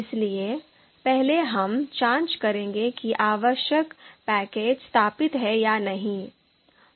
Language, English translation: Hindi, So we will check whether this package is installed or not